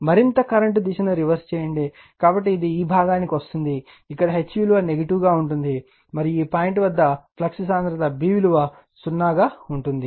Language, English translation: Telugu, Further we are reversing the direction of the current, so it will come to this portion, where you will get H value will be negative, and you will find your flux density B at this point is 0 right